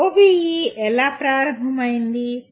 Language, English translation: Telugu, How did OBE start